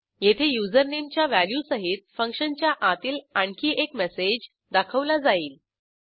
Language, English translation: Marathi, Here another message inside function will be displayed, along with the value of username